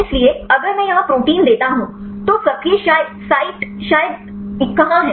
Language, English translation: Hindi, So, if I give the protein here; so where is active site probably